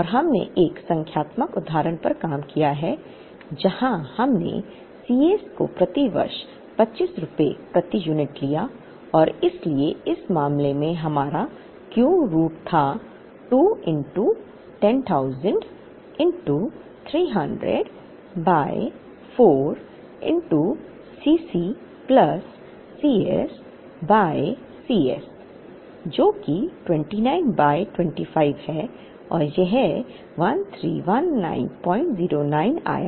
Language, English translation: Hindi, And we worked out a numerical example, where we took C s to be rupees 25 per unit per year and therefore, our Q in that case was root over, 2 into10,000 into 300 by 4 into C c plus C s by C s, which is 29 by 25 and this came to 1319